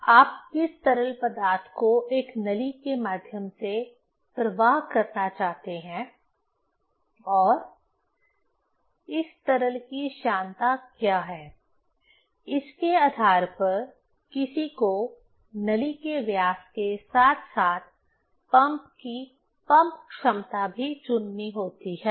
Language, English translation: Hindi, Which liquid you want to flow through a pipe and what is the viscosity of this liquid, depending on that one has to choose the diameter of the pipe as well as pump capacity of the pump